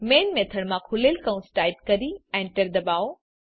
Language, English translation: Gujarati, Inside the main method type an opening brace and hitEnter